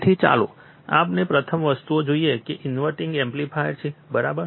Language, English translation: Gujarati, So, let us see first thing which is the inverting amplifier, right